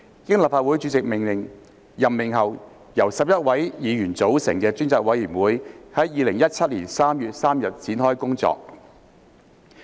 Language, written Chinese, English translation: Cantonese, 經立法會主席任命後，由11位議員組成的專責委員會於2017年3月3日展開工作。, 382 . Upon appointment by the President the Select Committee comprising 11 members commenced its work on 3 March 2017